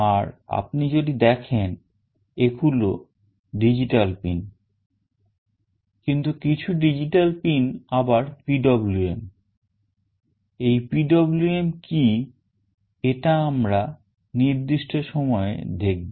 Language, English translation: Bengali, And if you see these are digital pins, but some of the digital pins are also PWM, we will look into this specifically what is PWM in course of time